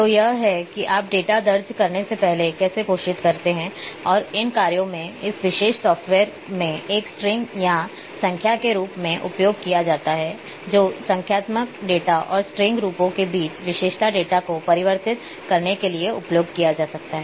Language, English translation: Hindi, So, this is how you declare in case of before entering the data and a in a these functions are used in this particular software to as a string or as number that can be used to convert attribute data between numeric and string forms